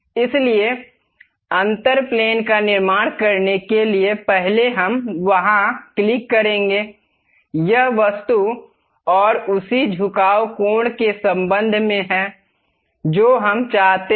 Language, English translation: Hindi, So, to construct the difference plane, first we will go there click; this is the object and with respect to that some inclination angle we would like to have